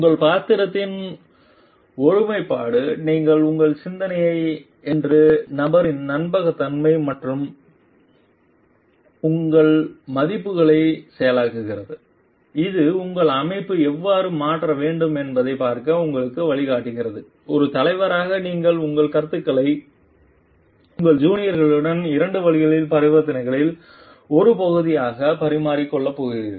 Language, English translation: Tamil, The integrity of your character the trustworthiness of person that you are your thought process your values which guides you to see how you want your organization to transform to see how as a leader you are going to exchange your views with your juniors as a part of two way transactions